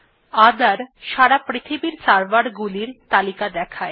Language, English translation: Bengali, shows a list of servers across the globe